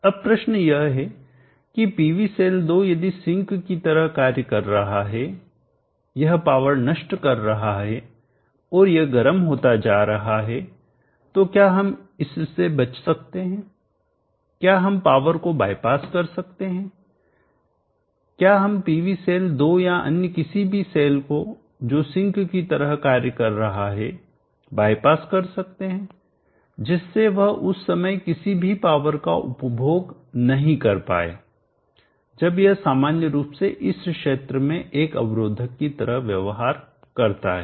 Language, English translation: Hindi, Now the question is the PV cell 2 if it is sinking it is dissipating and it is becoming hot can we avoid that, can we bypass the power, can we bypass the PV cell 2 or any cell which is sinking such that it does not consume any power during the time when it is normally suppose to behave like a resistor in this region